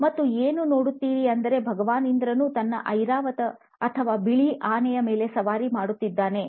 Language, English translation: Kannada, And what you also see is, Lord Indra riding on his “Airavat” or white elephant